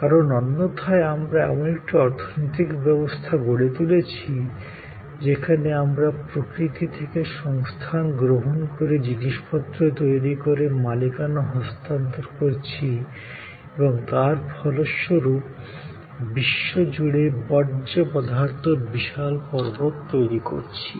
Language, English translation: Bengali, Because, otherwise we have an economy, which relies on taking stuff taking resources from nature, making things and transferring the ownership and ultimately all that is creating a huge mountain of waste around the world